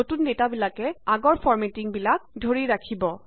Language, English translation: Assamese, The new data will retain the original formatting